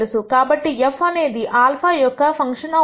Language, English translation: Telugu, So, this is going to be a function of alpha